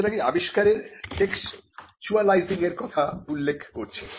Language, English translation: Bengali, So, this is what we refer to as textualizing the invention